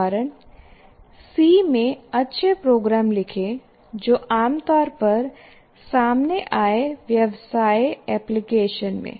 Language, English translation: Hindi, Like example can be write good programs in C, encountered commonly in business applications